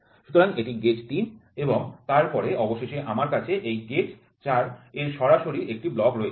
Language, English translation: Bengali, So, this is gauge 3 and then finally, I have a directly a block of this gauge 4